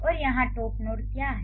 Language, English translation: Hindi, And what is the top node here